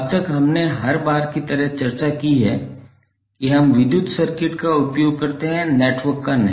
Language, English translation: Hindi, Till now we have discussed like every time we use electrical circuit not the network